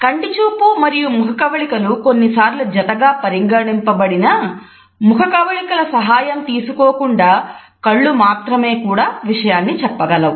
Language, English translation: Telugu, Although eye contact and facial expressions are often linked together we have found that eyes can also communicate message which is independent of any other facial expression